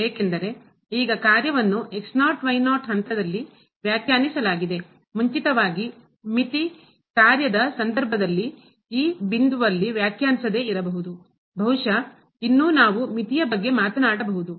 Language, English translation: Kannada, Because, now the function is defined at naught naught point; earlier in the case of limit function may not be defined at that point is still we can talk about the limit